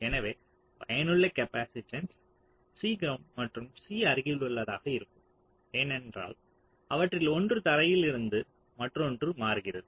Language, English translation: Tamil, so the effective capacitance will be c ground plus c adjacent, because one of them was at ground and the other one is changing